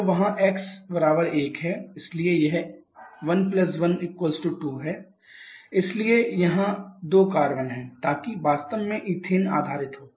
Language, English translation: Hindi, So, there is x = 1, so it is 1 + 1 = 2, so there are 2 carbons so that is actually ethane based